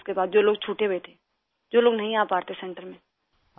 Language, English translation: Urdu, Sir, after that, people who were left out…those who could not make it to the centre…